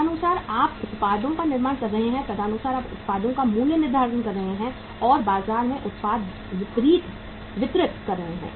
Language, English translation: Hindi, Accordingly you are manufacturing the products, accordingly you are pricing the products and distributing the product in the market